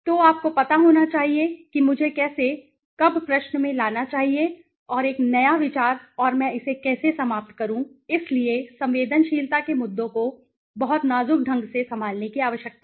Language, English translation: Hindi, So you should know how should I, when should I bring in the question and a new idea and how do I finish it, so sensitivity issues need to be handled very delicately